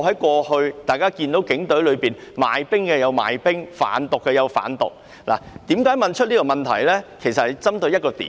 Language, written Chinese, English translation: Cantonese, 過去，大家曾看到警隊內有人賣冰、有人販毒，而我提出這項質詢正是要針對這一點。, In the past we have seen certain officers in the Police Force selling methamphetamine and committing drug trafficking offence and this is why I ask this question